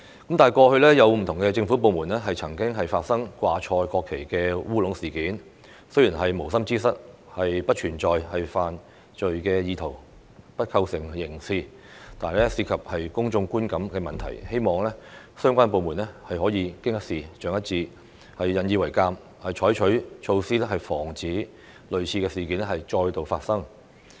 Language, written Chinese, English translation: Cantonese, 但是，過去有不同的政府部門曾發生掛錯國旗的"烏龍"事件，雖然是無心之失，不存在犯罪意圖，不構成刑責，但涉及公眾觀感的問題，希望相關部門可以經一事長一智，引以為鑒，採取措施防止類似事件再度發生。, However there have been careless incidents of government departments displaying the national flag in a wrong way . Although these are inadvertent mistakes and there is no criminal intent nor is there any criminal liability these incidents have resulted in a bad public perception . I hope that the departments can learn from the mistakes and the experience and adopt measures to prevent the recurrence of similar incidents